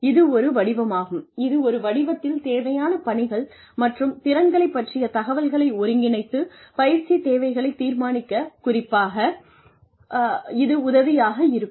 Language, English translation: Tamil, It is a form that, consolidates information, regarding required tasks and skills in a form, that is especially helpful for determining training requirements